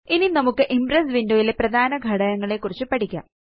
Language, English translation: Malayalam, Now let us learn about the main components of the Impress window